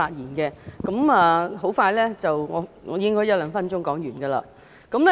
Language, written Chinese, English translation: Cantonese, 我會說得很快，大約一兩分鐘便可說完。, I will be quick and I will finish in about a minute or two